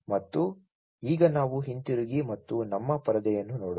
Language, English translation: Kannada, And so let us now go back and look at our screen